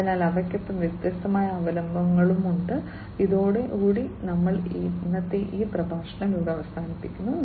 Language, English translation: Malayalam, So, with these are the different references and with this we come to an end